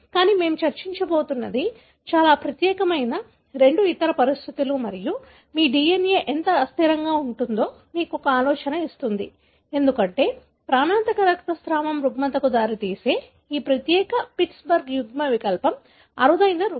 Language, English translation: Telugu, But, what we are going to discuss is two other conditions which are very very unique and will give you an idea as to how unstable your DNA can be, because this particular Pittsburg allele, which results in the lethal bleeding disorder is a rare form